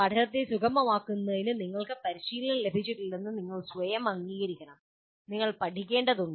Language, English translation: Malayalam, That first thing you should acknowledge to yourself that I'm not trained in facilitating learning and I need to learn